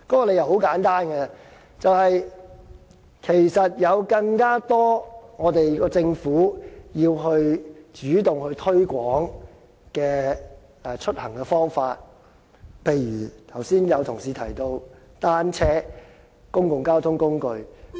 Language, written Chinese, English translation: Cantonese, 理由很簡單，其實政府有更多主動推廣出行的方法，例如剛才有同事提到單車、公共交通工具。, The reason is simple . There is room for the Government to proactively promote alternative modes of transport such as commuting by bicycles or taking public transport which some colleagues have just mentioned